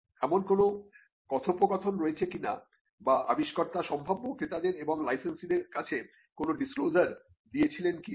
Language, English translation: Bengali, And whether there are any dialogue or whether the inventor had made any disclosure to prospective buyers and licenses